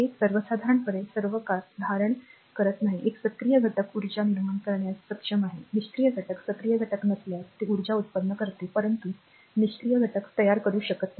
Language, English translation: Marathi, It does not hold for all time in general an active element is capable of generating energy, while passive element is not active element it will generate energy, but passive element it cannot generate